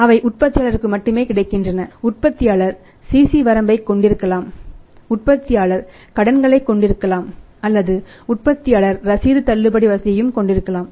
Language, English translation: Tamil, They are only available to the manufacturer, manufacturer can have CC limit also manufacturer can have the loans or the manufacturer can have the bill discounting facility also